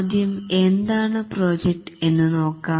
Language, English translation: Malayalam, First, let us look at what is a project